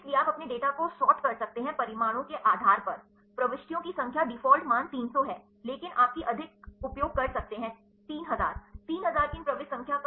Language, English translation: Hindi, So, you can sort your data based on the results, the number of entries the default value is 300, but you can use the more number of 3000 30000’s these entries